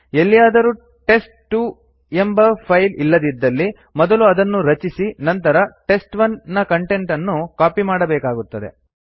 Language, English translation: Kannada, If test2 doesnt exist it would be first created and then the content of test1 will be copied to it